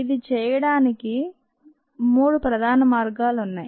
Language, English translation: Telugu, there are three major ways in which this is done